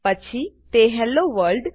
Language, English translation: Gujarati, Then it prints Hello World